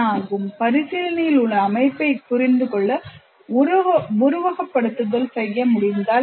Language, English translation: Tamil, I can, what if simulation can be done to understand the system under consideration